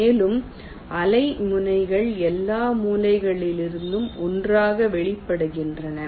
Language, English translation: Tamil, cells and wavefronts are emanating from all the sources together